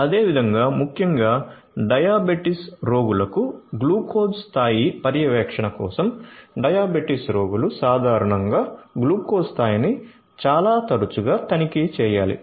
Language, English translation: Telugu, Similarly, for glucose level monitoring particularly for diabetes, diabetes patients; diabetes patients typically need to check the glucose level quite often